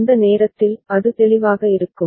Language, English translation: Tamil, At that time, it will be clear